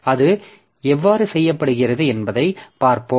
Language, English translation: Tamil, So, let us see how is it done